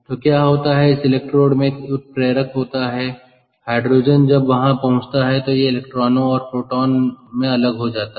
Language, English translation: Hindi, ok, so what happens is this: this electrodes have a is a catalyst where the hydrogen, when it reaches there, it dissociates into electron and proton